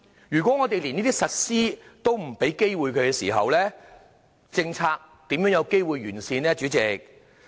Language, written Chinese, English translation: Cantonese, 如果我們不給予機會實施，政策又如何可完善呢？, How can the policy be refined if it is not given the chance of being implemented?